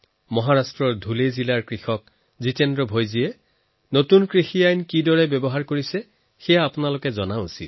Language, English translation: Assamese, You too should know how Jitendra Bhoiji, a farmer from Dhule district in Maharashtra made use of the recently promulgated farm laws